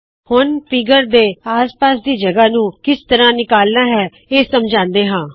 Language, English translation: Punjabi, We will now explain how to remove the white space around the figure